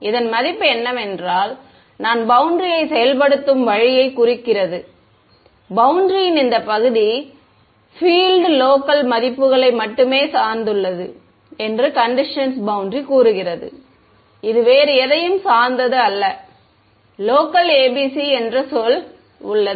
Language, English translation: Tamil, Means that the value of I mean the way I implement the boundary condition lets say this part of the boundary depends on only the local values of the field; it does not depend on anything else ok, the word itself there is local ABC